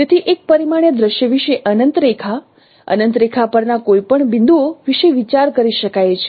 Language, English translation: Gujarati, So a one dimensional scene can be thought about as an infinite line